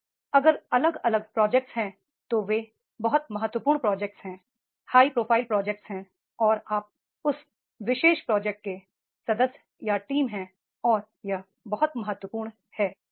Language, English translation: Hindi, Now if there are the different projects then there are very very important projects, high profile projects are there and are you a member or team of that particular project and that is becoming a very very important